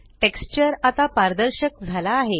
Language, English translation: Marathi, Now the texture has become transparent